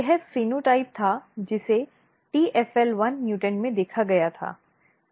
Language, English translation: Hindi, What happens if you have tfl1 mutants